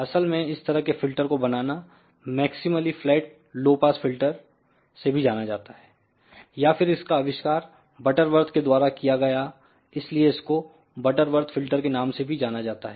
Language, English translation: Hindi, In fact, this type of the filter realization is also known as maximally flat low pass filter, or it was invented by your proposed by butterwort it is also known as butterwort filter